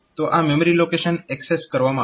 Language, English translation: Gujarati, So, that particular memory location will be accessed